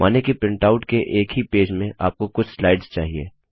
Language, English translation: Hindi, Lets say you want to have a number of slides in the same page of the printout